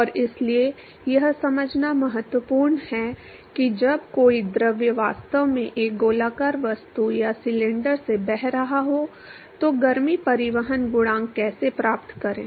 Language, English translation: Hindi, And so, it is important to understand how to find heat transport coefficient when a fluid is actually flowing past a circular object or a cylinder